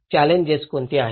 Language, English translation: Marathi, What are the challenges